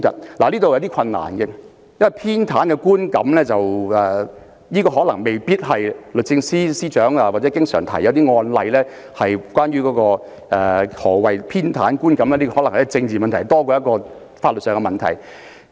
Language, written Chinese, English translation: Cantonese, 不過，這實在有些困難，因為出現偏袒觀感的個案可能未必是律政司司長經常提及的一些案例，而且偏袒觀感可能屬政治問題多於法律問題。, Nevertheless this is difficult indeed because cases with possible perception of bias may not necessarily be those frequently cited by the Secretary for Justice and the perception of bias may be more of a political question than a legal one